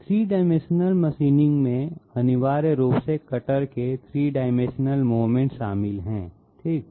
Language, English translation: Hindi, 3 dimensional machining essentially involves 3 dimensional movement of the cutter okay